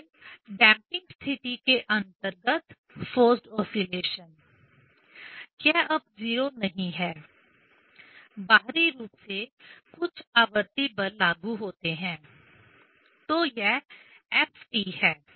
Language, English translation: Hindi, Then forced oscillation under damping condition; this is not 0 now, externally some periodic force is applied; so this is f t